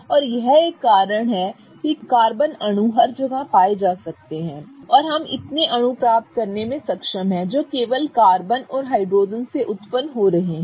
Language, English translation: Hindi, And this is one of the reasons that carbon molecules can be found everywhere and we are able to get so many molecules that are just arising from the carbon and hydrogen itself